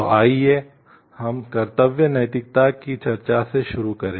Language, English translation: Hindi, So, let us start with the discussion of duty ethics